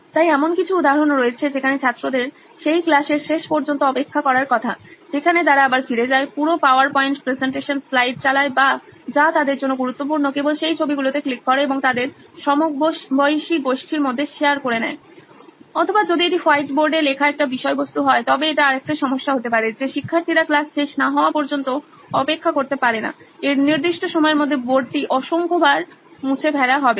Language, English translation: Bengali, So there are instances where students are supposed to wait till the end of that class, where they again go back, play the entire power point presentation slide by slide or whatever is important to them just click those images and share it within their peer groups, or if it is a content written on the white board it’s another problem there would be that students cannot wait till the end of the class the board would be wiped out N number of times in this due course of time